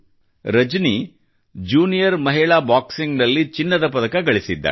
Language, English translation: Kannada, Rajani has won a gold medal at the Junior Women's Boxing Championship